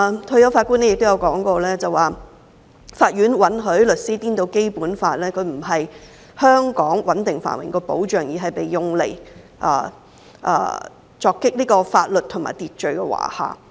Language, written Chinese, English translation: Cantonese, 退休法官烈顯倫亦提到："法院允許律師顛倒《基本法》：它不是香港穩定繁榮的保障，而是被用來鑿毀法律和秩序的華廈。, In addition retired Justice LITTON said [T]he courts have allowed counsel to turn the Basic Law on its head instead of it being the guarantee of Hong Kongs stability and prosperity it has been used to chisel away the edifices of law and order